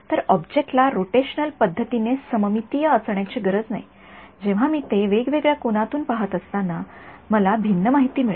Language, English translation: Marathi, So, because the object need not be symmetric rotationally, I will get different information when I am seeing it from different angles